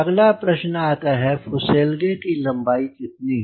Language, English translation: Hindi, next question comes to you: what is the fuselage length